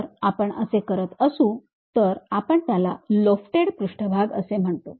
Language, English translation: Marathi, If we are doing that we call that as lofted surfaces